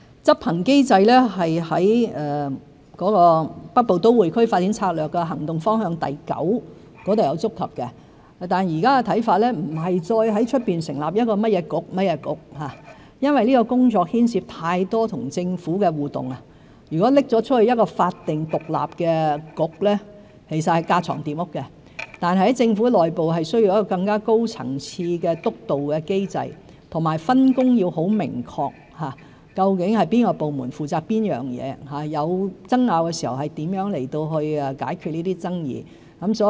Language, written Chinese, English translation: Cantonese, 執行機制在《北部都會區發展策略》的重點行動方向第九點有觸及到，但現在的看法不再是在外成立一個局，因為這項工作牽涉太多跟政府的互動，如果交予法定獨立的局，其實是架床疊屋；但在政府內部需要一個更高層次的督導機制，分工要很明確，究竟甚麼部門負責甚麼工作，有爭拗時如何去解決爭議。, As for the implementation mechanism one may find it in the Key Action Direction 9 of the Northern Metropolis Development Strategy . Yet as the implementation of this development plan will involve much interaction with the Government we do not think there should be a new and independent statutory body setting up outside the government structure to avoid overlapping of functions . Instead there should be a high - level monitoring mechanism within the government structure to clarify the division of work among different departments and specify how disputes should be resolved